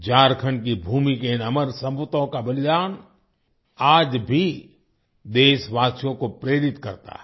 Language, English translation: Hindi, The supreme sacrifice of these immortal sons of the land of Jharkhand inspires the countrymen even today